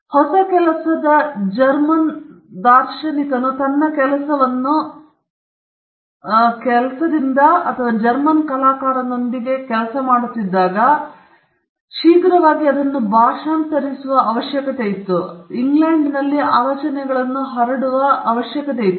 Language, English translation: Kannada, So, when you found new a German philosopher coming out with his work or a German artist coming up with his work you found quickly people translating them and that ideas spreading in England